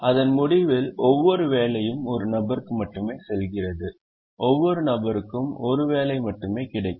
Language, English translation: Tamil, at the end of it, every job goes to only one person and every person gets only one job